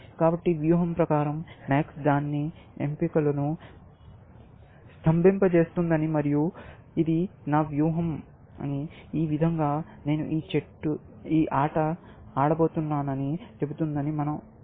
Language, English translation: Telugu, So, by strategy, we mean that max is freezing max’s choices is and saying; this is my strategy; this is how I am going to play this game, essentially